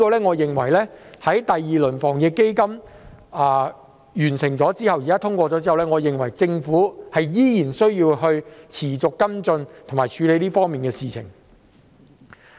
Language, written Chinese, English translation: Cantonese, 我認為在第二輪防疫抗疫基金通過後，政府仍然需要持續跟進和處理這方面的事情。, In my opinion the Government should continue to follow up and handle matters in this regard after the passage of the second round of AEF